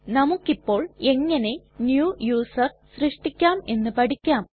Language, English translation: Malayalam, Lets now learn how to create a New User